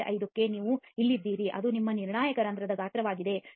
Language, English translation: Kannada, 5 you are here that is your critical pore size, at 0